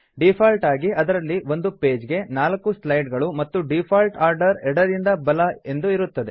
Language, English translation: Kannada, By default,there are 4 slides per page and the default order is left to right,then down